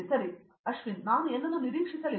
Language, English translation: Kannada, Okay I did not expect anything